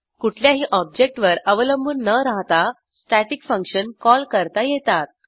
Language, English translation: Marathi, Static functions A static function may be called by itself without depending on any object